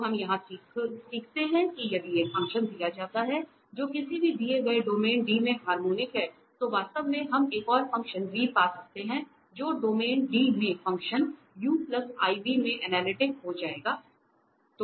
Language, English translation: Hindi, So, what do we learn here that if a function is given which is harmonic which is harmonic in a given domain D, then actually we can find another function v such that u plus iv will become analytic in the function in the domain D